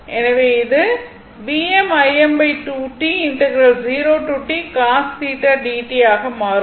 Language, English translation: Tamil, So, this is the power